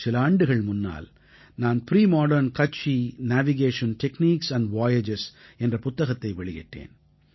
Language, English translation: Tamil, A few years ago, I had unveiled a book called "Premodern Kutchi Navigation Techniques and Voyages'